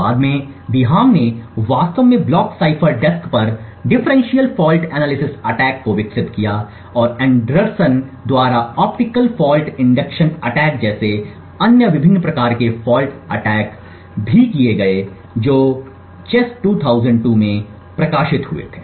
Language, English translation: Hindi, Later on, Biham actually developed differential fault analysis attack on the block cipher desk and also there were other different types of fault attack like the optical fault induction attacks by Anderson which was published in CHES 2002